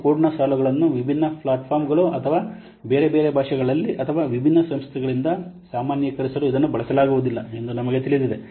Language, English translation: Kannada, And line shape code, we know that it cannot be used for normalizing across different platforms or different languages or by different organizations